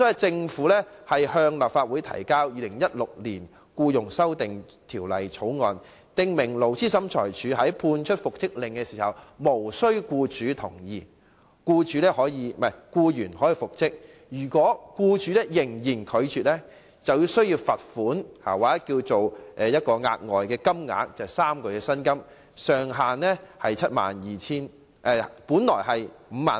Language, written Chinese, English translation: Cantonese, 政府向立法會提交《2016年僱傭條例草案》，訂明勞資審裁處作出復職的命令時，無須僱主同意，僱員也可復職；如果僱主仍然拒絕，須支付等於僱員3個月薪金的額外款項，而上限是5萬元。, The Government tabled in the Legislative Council the Employment Amendment Bill 2016 which provided that the Labour Tribunal was empowered to make an order for reinstating the employee without having to first secure the employers agreement . Should the employer fail to comply with the order he has to pay to the employee a further sum three times the employees average monthly wages subject to a ceiling of 50,000